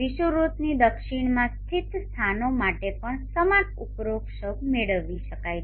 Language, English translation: Gujarati, Similar corollaries can be obtained for places located to the south of the equator also